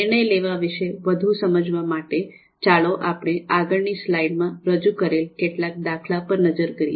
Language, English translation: Gujarati, Now to understand more about decision makings, let us have a look at some of the examples which are presented here in the slide